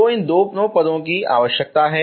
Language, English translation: Hindi, So these two terms are required